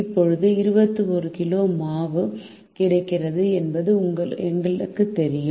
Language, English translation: Tamil, now we know that twenty one kg of flour is available